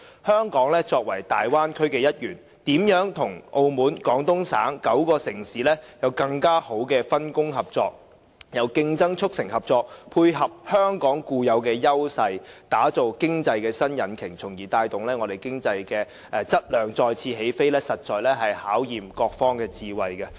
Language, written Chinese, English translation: Cantonese, 香港作為大灣區的一員，如何和澳門、廣東省9個城市有更好的分工合作。由競爭促成合作，配合香港固有的優勢，打造經濟的新引擎，從而帶動香港的經濟質量再次起飛，實在考驗各方的智慧。, It will be a test of everybodys wisdom as to how Hong Kong as a member of the Bay Area can work with Macao and the nine cities in Guangdong province to map out a satisfactory division of labour that can turn competition into cooperation bring forth a new economic locomotive based on Hong Kongs existing advantages and in turn trigger another take - off of Hong Kongs economy